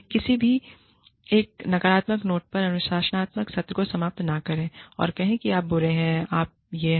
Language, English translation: Hindi, Never ever, end a disciplinary session, on a negative note, and say, you are bad, you are this